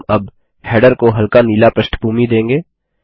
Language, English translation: Hindi, We will now, give the header a light blue background